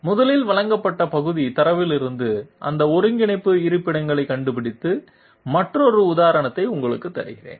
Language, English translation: Tamil, First of all finding out those coordinate locations from the part data which is provided, let me give you another example